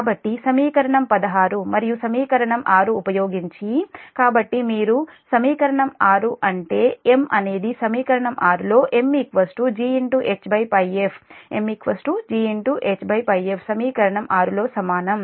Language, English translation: Telugu, so using equation sixteen and equation six, so if you equation six means that m is equal to in equation six, m is equal to g h up on pi f